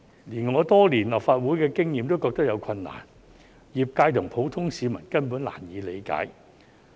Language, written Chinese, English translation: Cantonese, 連我有多年立法會經驗的議員也認為有困難，業界和普通市民根本難以理解。, I a veteran Legislative Council Member with many years of experience still found it difficult to understand let alone the industry and the general public who can hardly comprehend it